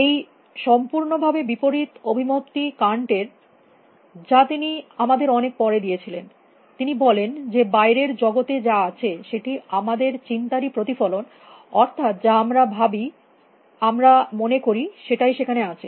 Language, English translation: Bengali, The diametrically opposite view was given to us by Canter much much later; he said that what is out there is the reflection of our thoughts that what we think is out there is what we think is out there